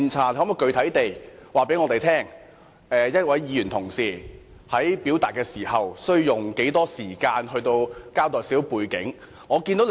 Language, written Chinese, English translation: Cantonese, 你可否具體告訴我們，一位議員在表述時，可用多少時間來交代背景呢？, Can you tell us in specific terms how much time a Member is allowed to spend on explaining the background when he presents his views?